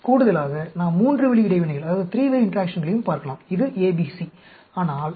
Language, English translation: Tamil, In addition, we can also look at the three way interaction; that is A, B, C